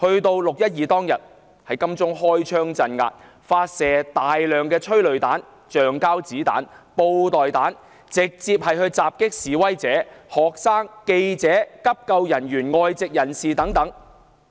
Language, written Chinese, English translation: Cantonese, 至"六一二"當天，警方在金鐘開槍鎮壓，發射大量催淚彈、橡膠子彈、布袋彈，直接攻擊示威者、學生、記者、急救人員、外籍人士等。, On the day of 12 June the Police mounted a crackdown in Admiralty by firing guns unleashing a hailstorm of tear gas rounds rubber bullets and beanbag rounds and attacking among others protesters students reporters first - aiders and foreigners head - on